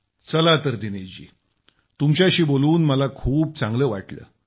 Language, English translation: Marathi, Dinesh ji, I felt really nice listening to you